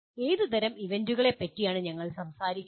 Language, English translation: Malayalam, What type of events are we talking about